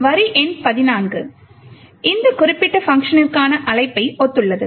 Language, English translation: Tamil, So, line number 14 corresponds to the call to this particular function